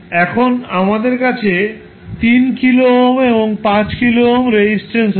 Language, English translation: Bengali, Now, we have 3 kilo ohm and 5 kilo ohm resistances